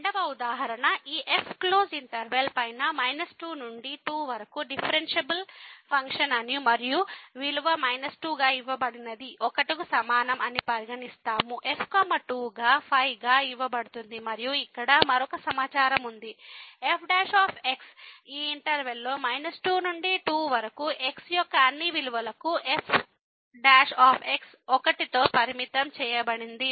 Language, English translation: Telugu, The second example we will consider that this is the differentiable function on the closed interval minus to and such that the value is given as minus is equal to , is given as 2 as and there is another information here that prime ; prime is bounded by for all values of in this interval minus 2 to